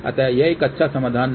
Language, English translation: Hindi, So, that is not a good solution at all